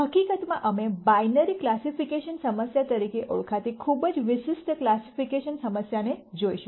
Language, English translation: Gujarati, In fact, we are going to look at a very specific classification problem called binary classi cation problem